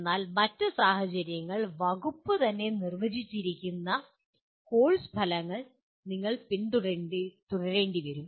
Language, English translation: Malayalam, But in other cases you may have to follow the course outcomes as defined by the department itself